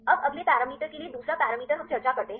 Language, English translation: Hindi, Now the second parameters for the next parameter we discuss